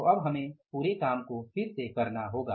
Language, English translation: Hindi, So, now we have to re work the whole thing